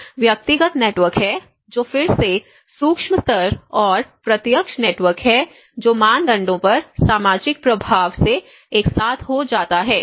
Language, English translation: Hindi, There is a personal networks which again the micro level and the direct networks which could be with the social influence on the norms